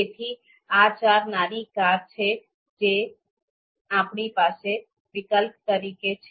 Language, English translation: Gujarati, So these are four small cars that we have as alternatives